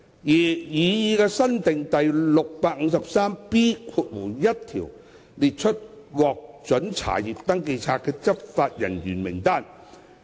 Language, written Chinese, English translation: Cantonese, 擬議新訂的第 653B1 條列出獲准查閱登記冊的執法人員名單。, The proposed new section 653B1 sets out the list of law enforcement officers permitted to inspect SCRs